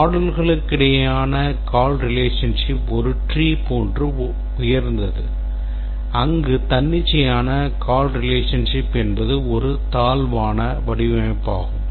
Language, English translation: Tamil, A tree like call relationship among modules is a superior, whereas an arbitrary call relation is a inferior design